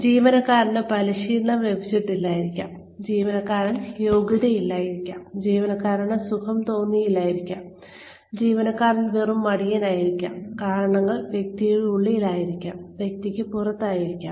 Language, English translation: Malayalam, There could be, the employee may not be trained, the employee may not be qualified, the employee may not be feeling comfortable, the employee may be just plain lazy, reasons could be inside the person, could be outside the person